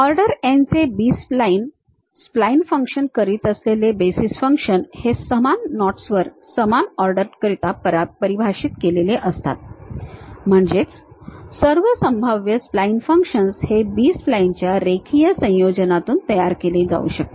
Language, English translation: Marathi, B splines of order n, basis functions for spline functions for the same order defined over same knots, meaning that all possible spline function can be built from a linear combinations of B splines